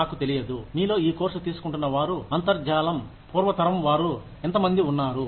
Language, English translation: Telugu, I do not know, how many of you are, who are taking this course, are from pre internet generation